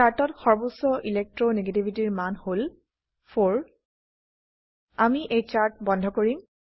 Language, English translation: Assamese, In the chart, highest Electro negativity value is 4